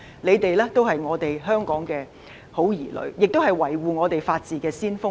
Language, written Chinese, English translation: Cantonese, 他們都是香港的好兒女，也是維護法治的先鋒。, They are all good children of Hong Kong as well as the vanguards defending the rule of law